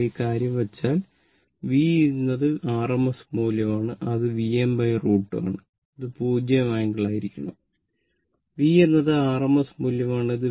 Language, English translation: Malayalam, If you put in this thing, V is equal to is equal to V V is the rms value, that is V m by root 2 and it should be angle 0 degree, say right and V is the rms value